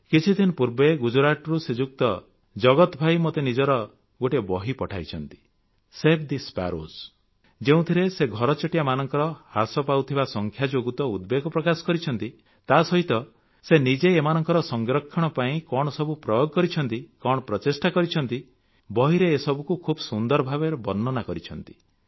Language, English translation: Odia, Jagat Bhai from Gujarat, had sent his book, 'Save the Sparrows' in which he not only expressed concern about the continuously declining number of sparrows, but also what steps he has taken in a mission mode for the conservation of the sparrow which is very nicely described in that book